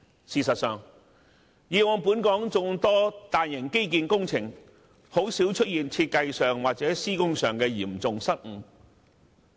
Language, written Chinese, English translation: Cantonese, 事實上，以往本港眾多大型基建工程，甚少出現設計或施工方面的嚴重失誤。, As a matter of fact although Hong Kong has launched numerous major infrastructure projects in the past serious mistakes in design or construction are uncommon